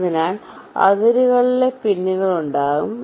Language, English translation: Malayalam, so there will be pins along the boundaries